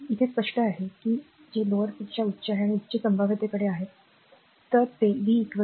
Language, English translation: Marathi, So, this is clear to you, that which is higher to lower and lower to higher potential, right